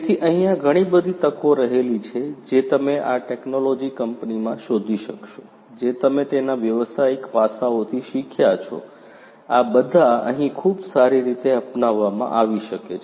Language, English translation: Gujarati, So, there are lots of opportunities you will be able to find in this company of the technology that you have learned from the business aspects of it, all of these could be very well adopted over here